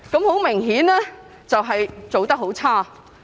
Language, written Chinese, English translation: Cantonese, 很明顯，政府做得很差。, Obviously the Government has done a lousy job